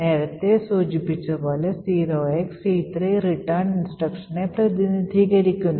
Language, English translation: Malayalam, So essentially as we know 0xc3 corresponds to the return instruction